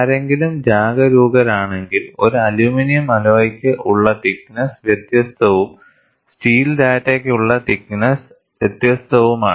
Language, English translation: Malayalam, And if someone is alert, you would find, the thickness is different for an aluminum alloy and thickness is different for a steel data